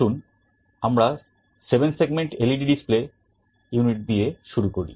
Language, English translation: Bengali, Let us start with 7 segment LED display unit